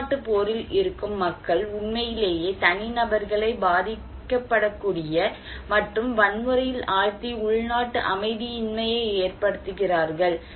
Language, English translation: Tamil, So, people who are at civil war that really put the individuals as a vulnerable and violence and civil unrest